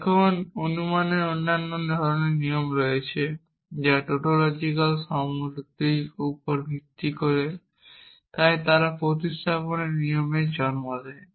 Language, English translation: Bengali, Now, there are other kinds of rule of inference which are based on tautological equivalences and they give rise to rules of substitution